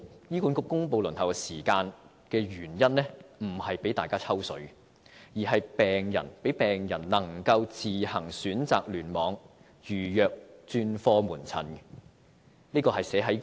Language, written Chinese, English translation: Cantonese, 醫管局公布輪候時間的原因並非讓大家"抽水"，而是讓病人能夠自行選擇聯網，預約專科門診。, In announcing the waiting time HA does not expect Members to piggyback on it . Rather it serves to enable patients to make an appointment for specialist outpatient services in a cluster of their choice